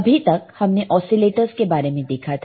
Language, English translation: Hindi, So, until now we have seen what are the oscillators